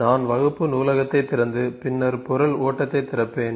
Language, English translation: Tamil, So, I will just open the class library and open the material flow